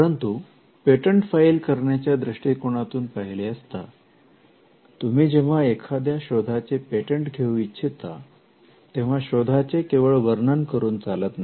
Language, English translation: Marathi, But the question is from a patenting perspective, when you patent an invention, the object of patent drafting is not to simply describe the invention